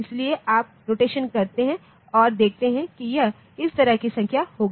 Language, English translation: Hindi, So, you do the rotation and see that it will be a number like this ok